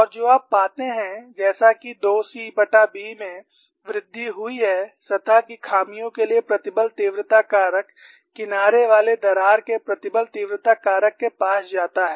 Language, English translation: Hindi, 2 and what you find is as 2 c b is increased, the stress intensity factor for a surface flaw approaches the stress intensity factor of the edge crack